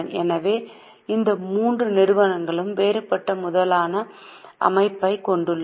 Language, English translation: Tamil, So, these three companies have a different capital structure